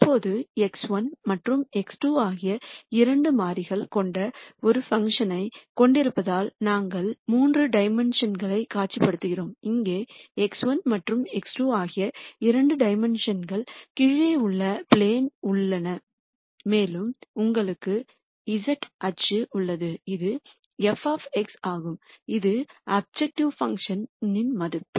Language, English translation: Tamil, Now, since we have a function with two variables x 1 and x 2 we visualize this in 3 dimensions, you have the two dimensions x 1 and x 2 on the plane below here and you have the z axis which is f of X which is the objective function value